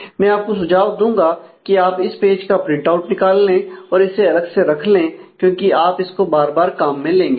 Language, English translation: Hindi, I would suggest that you take a print out of this page or keep this page separately because you will frequently need to refer to it